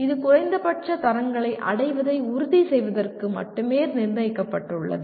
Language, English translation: Tamil, This is only to ensure that minimum standards are attained